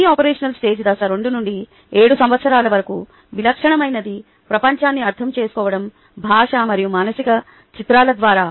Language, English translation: Telugu, the preoperational stage is two to seven years, typical ah, the ah, the understanding of the world is through language and mental images